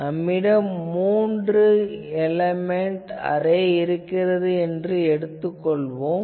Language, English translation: Tamil, So, here let us say that we have three element array